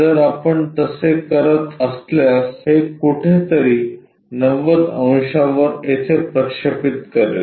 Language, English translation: Marathi, If we are doing that it will be somewhere projecting it 90 degrees